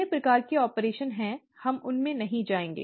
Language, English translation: Hindi, There are other kinds of operation, we will not get into that